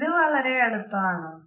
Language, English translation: Malayalam, Is this too close